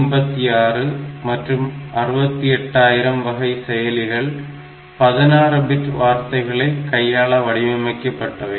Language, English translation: Tamil, So, processors like 8086 and 68000 they were designed as 16 bit word